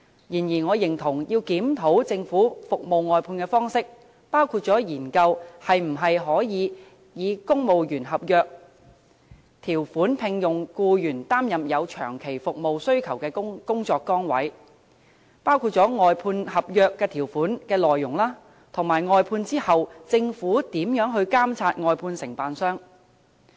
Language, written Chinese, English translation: Cantonese, 然而，我認同要檢討政府服務外判的方式，包括研究可否以公務員合約條款聘用僱員擔任有長期服務需求的工作崗位、外判合約條款的內容，以及服務外判後政府如何監察外判承辦商。, Having said that I agree that the Government should review the approach for its service outsourcing which includes conducting studies on recruiting employees on civil service agreement terms to fill positions with long - term service needs the terms and conditions of the contract for outsourced services and how the Government will monitor the contractors after services are outsourced